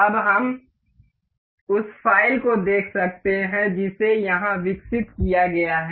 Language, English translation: Hindi, Now, we can see the file that is developed here that is generated